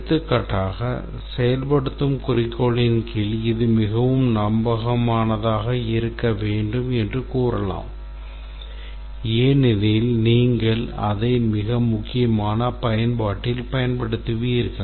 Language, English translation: Tamil, For example, under the goal of implementation we might say that it should be very reliable because we will use it in a, because this will be used in a very critical application